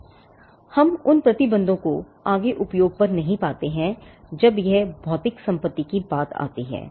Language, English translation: Hindi, And we do not find those restrictions on further use when it comes to the physical property itself